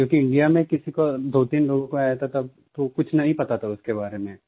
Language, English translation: Hindi, Because in India, there were only two or three cases, I didn't know anything about it